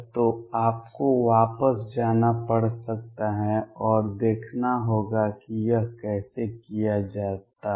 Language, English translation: Hindi, So, you may have to go back and see how it is done